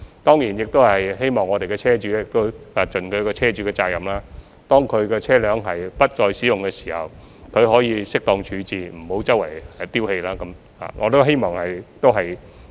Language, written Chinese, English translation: Cantonese, 當然，我們亦希望車主盡車主的責任，當他們的車輛不再使用時，應作適當處置，不要四處棄置。, Certainly we also hope that vehicle owners can do their part by disposing of their vehicles properly when they are no longer in use rather than abandoning them indiscriminately